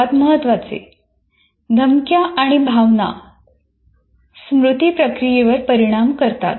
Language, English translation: Marathi, And most importantly, threats and emotions affect memory processing